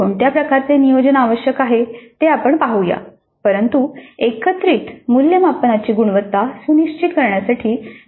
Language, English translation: Marathi, We look at what kind of planning is required but that is essential to ensure quality of the summative assessment